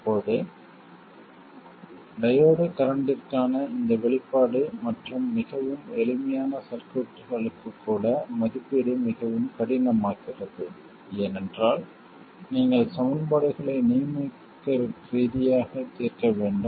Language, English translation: Tamil, Now even with this expression for the diode current and even for very simple circuits, evaluation becomes very difficult because you have to solve equations numerically